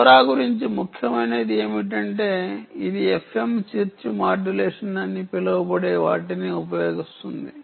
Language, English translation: Telugu, what is important about lora is that it uses ah, what is known as a f m chirp, ok, modulation ah